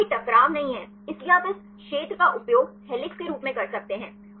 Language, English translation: Hindi, So, there is no conflict; so you can use this region as helix